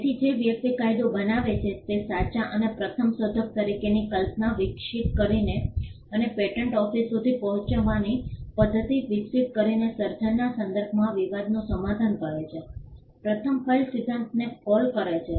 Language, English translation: Gujarati, So, the person who law settles dispute with regard to creation by evolving a concept called true and first inventor and evolving a method of approaching the patent office call the first file principle